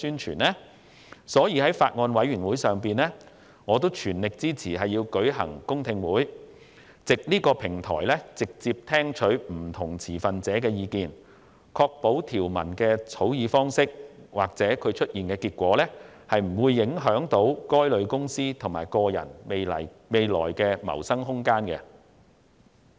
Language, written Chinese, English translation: Cantonese, 有見及此，我在法案委員會上全力支持舉行公聽會，藉此直接聽取不同持份者的意見，以確保草擬的條文生效後，不會影響該等公司和人士未來的謀生空間。, Thus at the meeting of the Bills Committee I fully supported holding a public hearing to directly receive the views of various stakeholders so as to ensure that the draft provisions would not after they come into effect affect the room of survival of the companies and persons concerned